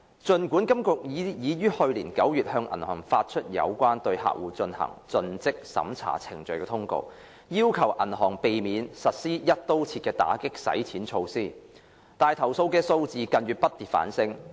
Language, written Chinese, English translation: Cantonese, 儘管金管局已於去年9月向銀行發出有關對客戶進行盡職審查程序的通告，要求銀行避免實施"一刀切"的打擊洗錢措施，投訴數字近月不跌反升。, Notwithstanding that HKMA issued in September last year a circular on customer due diligence processes requiring banks to refrain from adopting one - size - fits - all measures to combat money laundering the number of complaints went up instead of going down in recent months